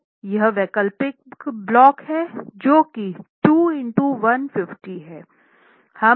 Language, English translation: Hindi, So this is alternate blocks, so that's 2 into 150